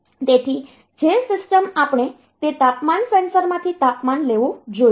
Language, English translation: Gujarati, So, the system we should take temperature from that temperature sensor